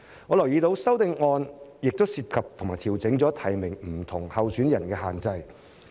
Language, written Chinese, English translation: Cantonese, 我留意到修正案亦涉及調整提名不同候選人的限制。, I notice that the amendments also involve an adjustment to the restriction on nominating different candidates